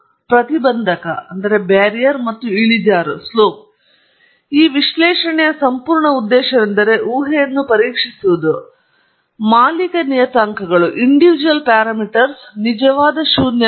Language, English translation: Kannada, The intercept and slope, and that the entire purpose of this analysis is to test the hypothesis that the individual parameters are truly zero